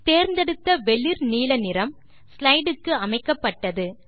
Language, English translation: Tamil, Notice, that the light blue color we selected is applied to the slide